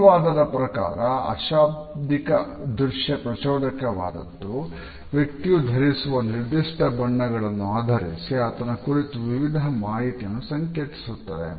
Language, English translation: Kannada, According to this theory, color is a non lexical visual stimulus that can symbolically convey various types of information about the person who is carrying a particular color